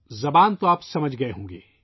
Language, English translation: Urdu, you must have understood the language